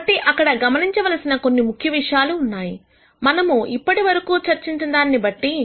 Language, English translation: Telugu, So, there are a few things that we can notice based on what we have discussed till now